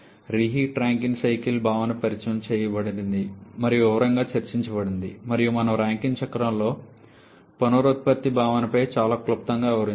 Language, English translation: Telugu, The concept of reheat Rankine cycle was introduced and discussed in detail and we have very briefly touched upon the concept of regeneration in a Rankine cycle